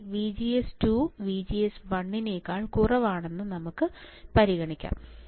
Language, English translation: Malayalam, Let us consider second case where VGS 2 is less than VGS 1